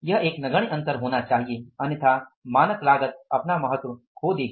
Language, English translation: Hindi, It is an insignificant gap because otherwise standard costing will lose its importance